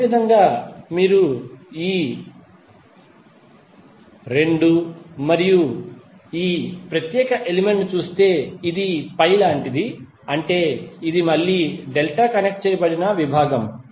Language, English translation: Telugu, Similarly if you see these 2 and this particular element, it is like a pi, means this is again a delta connected section